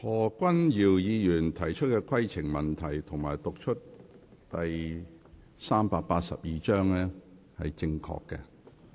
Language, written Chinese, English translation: Cantonese, 何君堯議員提出的規程問題，以及他讀出第382章的條文是正確的。, The point of order raised by Dr Junius HO as well as the provisions of Cap . 382 cited by him are correct